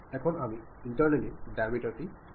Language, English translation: Bengali, Now, I would like to give internally the diameter